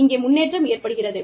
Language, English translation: Tamil, Improvement is happening